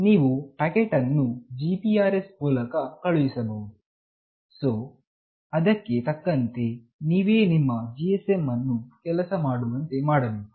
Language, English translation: Kannada, You can send a packet through GPRS, so accordingly you have to make your GSM work upon